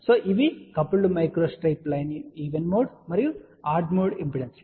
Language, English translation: Telugu, So, these are coupled micro strip line even mode and odd mode impedances